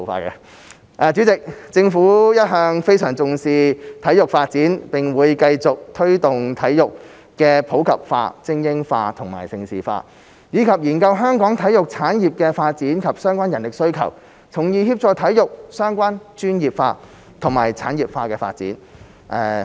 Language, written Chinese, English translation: Cantonese, 代理主席，政府一向非常重視體育發展，並會繼續推動體育普及化、精英化及盛事化，以及研究香港體育產業的發展及相關人力需求，從而協助體育相關專業化及產業化的發展。, Deputy President the Government has always attached great importance to sports development and will continue to promote sports in the community supporting elite sports and developing Hong Kong into a centre for major international sports events . We will also consider the development of the sports industry in Hong Kong and the related manpower requirements so as to promote the professionalization and industrialization of sports in Hong Kong